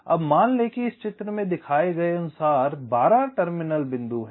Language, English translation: Hindi, now assume that there are twelve terminal points, as shown in this diagram